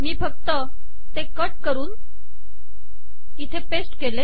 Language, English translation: Marathi, All I have done is to cut and to paste it here